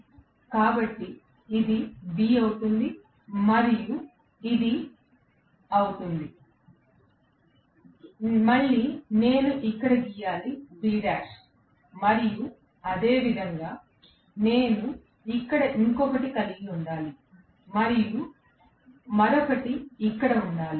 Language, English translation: Telugu, So this will become B and this will become, again I have to draw here, B dash and similarly, I have to have one more here, and one more here